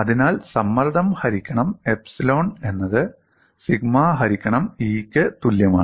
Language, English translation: Malayalam, So, strain is related to stress by epsilon equal to sigma by e you cannot use that in a generic situation